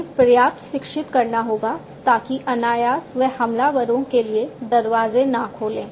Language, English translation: Hindi, So, they will have to be educated enough so that unintentionally they do not open the doors for the attackers